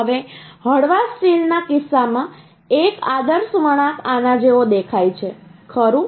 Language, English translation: Gujarati, right, Now, in case of mild steel an ideal curve is looks like this, right